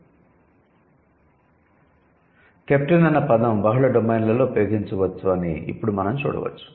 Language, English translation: Telugu, But now you can see captain can be used in multiple dimensions in multiple domains